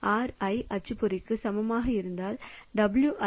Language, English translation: Tamil, So, if RI is equal to printer then WI is equal to 3